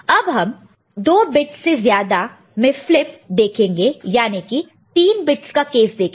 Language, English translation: Hindi, Now more than 2 bit flipping let us see 3 bits case